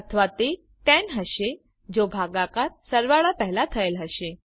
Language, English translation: Gujarati, Or it would be 10 if division is done before addition